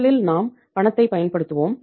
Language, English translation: Tamil, First we will use the cash